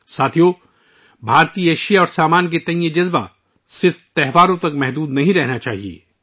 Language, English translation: Urdu, Friends, this sentiment towards Indian products should not be limited to festivals only